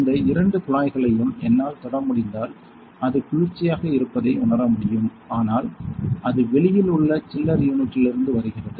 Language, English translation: Tamil, These two tubes if I can touch I can feel it is cooled though it is coming from the chiller unit outside